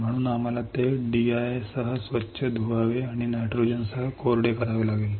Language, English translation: Marathi, So, we had to rinse it with D I and dry it with nitrogen